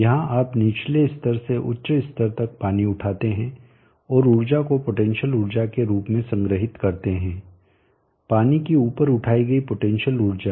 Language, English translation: Hindi, Here you lift water from the lower level to a higher level and store the energy in the form of potential energy, they lifted up potential energy of the water